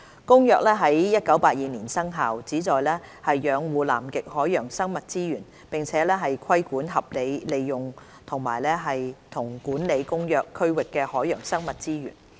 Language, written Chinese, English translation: Cantonese, 《公約》於1982年生效，旨在養護南極海洋生物資源，並規管合理利用和管理《公約》區域的海洋生物資源。, CCAMLR entered into force in 1982 with the objective of conserving Antarctic marine living resources and regulating the rational utilization and management of marine living resources in the Convention Area